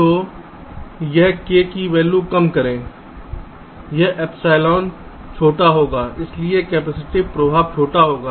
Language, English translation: Hindi, so lower the value of ah, this k, this epsilon, will be smaller